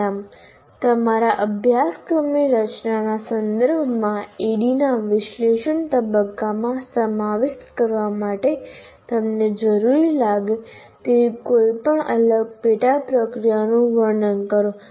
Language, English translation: Gujarati, Describe any different sub processes you consider necessary to include in the analysis phase of ADD with respect to designing your course